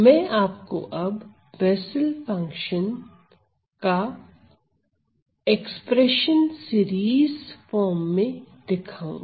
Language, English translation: Hindi, Now, I will highlight I will show you the expression for the Bessel’s function in the series form